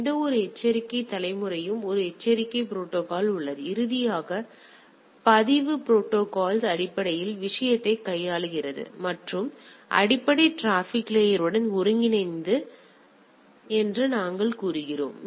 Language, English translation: Tamil, There is alert protocol for any type of alert generation things and finally, the record protocol which basically handles the thing and talk with the what we say integrate with the basic transport layer